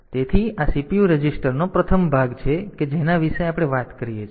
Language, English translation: Gujarati, So, this is the first part the CPU registers that we talked about